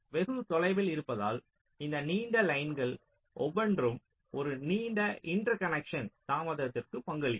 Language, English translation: Tamil, lets say far apart means this: each of this long lines will contribute to a long interconnection delay